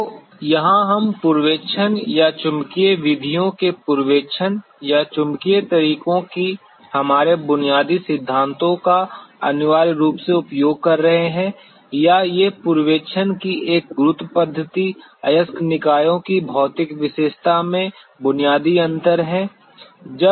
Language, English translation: Hindi, So, here we are essentially using our basic principles of the electrical methods of prospecting or magnetic methods of prospecting or a gravity method of prospecting and these are the basic difference in the physical property of the ore bodies